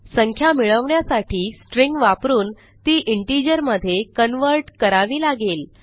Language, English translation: Marathi, To get the number, we have to use a string and convert it to an integer